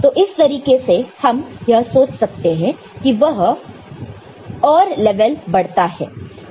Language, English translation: Hindi, So, in that sense, one may think that it will increase another level ok